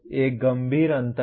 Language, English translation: Hindi, There is a serious gap